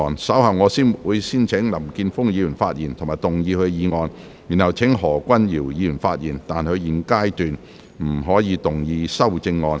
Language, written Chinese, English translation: Cantonese, 稍後我會先請林健鋒議員發言及動議議案，然後請何君堯議員發言，但他在現階段不可動議修正案。, Later I will first call upon Mr Jeffrey LAM to speak and move the motion . Then I will call upon Dr Junius HO to speak but he may not move the amendment at this stage